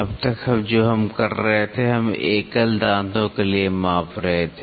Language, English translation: Hindi, Till now what we were doing is we were measuring it for the single teeth